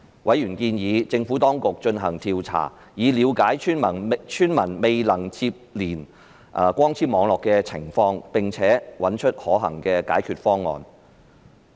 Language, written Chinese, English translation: Cantonese, 委員建議政府當局進行調查，以了解村民未能連接光纖網絡的情況，並找出可行的解決方案。, Members suggested the Administration to conduct a survey to understand why villagers were unable to connect to the fibre - based networks and to identify possible solutions